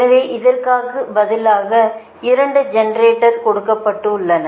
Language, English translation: Tamil, so, instead of, instead of this, two generators are given, right